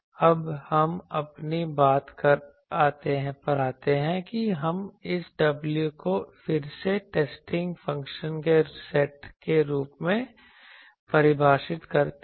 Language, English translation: Hindi, Now let us come to our point that so we now define this w again as a set of testing function